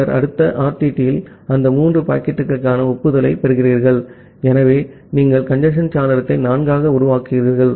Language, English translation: Tamil, Then in the next RTT, you are getting the acknowledgement for those three packets, so you are making congestion window to 4